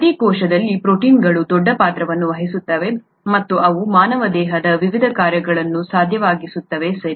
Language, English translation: Kannada, Proteins play huge roles in every cell and they make the various functions of the human body possible, okay